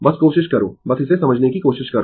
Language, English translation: Hindi, Just try, just try to understand this